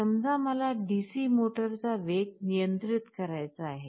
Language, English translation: Marathi, Suppose I want to control the speed of a DC motor